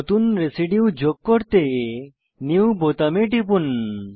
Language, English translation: Bengali, To add a new residue, click on New button